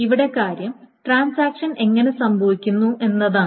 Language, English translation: Malayalam, So this is the transaction is being run